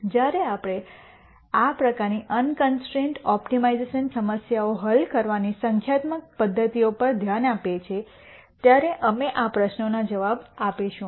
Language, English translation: Gujarati, We will answer these questions when we look at numerical methods of solving these kinds of unconstrained optimization problems